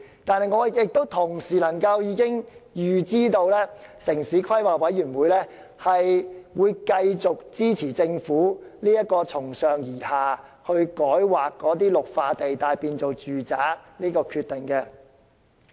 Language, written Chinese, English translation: Cantonese, 但是，我同時能夠預知，城規會會繼續支持政府這個從上而下將綠化地帶改劃為住宅用地的決定。, Yet I can also foresee that at the end of the day TPB will still support the Governments top - down decision to rezone the Green Belt areas into residential use